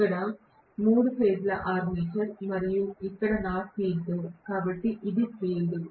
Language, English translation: Telugu, This is the three phase armature and here is my field, so this is the field